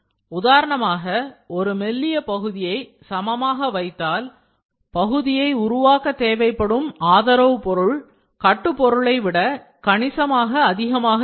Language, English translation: Tamil, Now, if a thin part is laid flat, for example, the amount of support material consumed may be significantly exceed the amount of build material